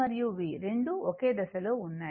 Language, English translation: Telugu, So, both are in the same phase